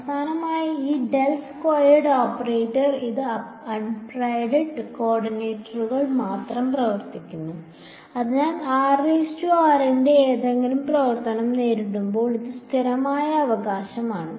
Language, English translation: Malayalam, Finally, this del squared operator this is acting only on unprimed co ordinates ok, so, when it encounters any function of r prime it is a constant right